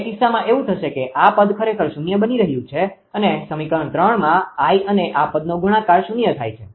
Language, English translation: Gujarati, In that case what will happen that this term actually is becoming 0; I into this term is becoming 0; in equation 3